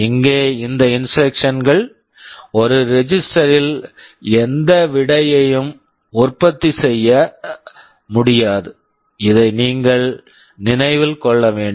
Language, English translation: Tamil, Here these instructions do not produce any result in a register; this is what you should remember